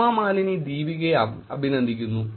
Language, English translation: Malayalam, Hema Malini congratulates Deepika